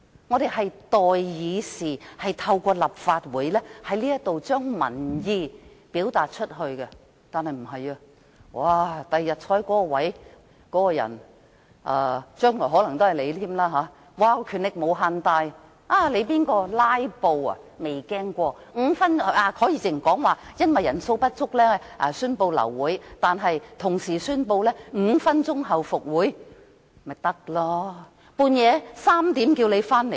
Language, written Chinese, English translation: Cantonese, 我們是代議士，在立法會表達民意，但將來的情況並不會這樣，日後坐在那個座位的人——將來可能仍然是你——權力無限大，誰"拉布"也不用擔心，如果因為法定人數不足而流會，他可以即時宣布5分鐘後復會，這樣子便行了。, In the future the person in that Chair―who may still be you―will have unlimited powers . No matter who filibusters he needs not worry . If a meeting is aborted because a quorum is not present he can immediately announce resumption of the meeting in five minutes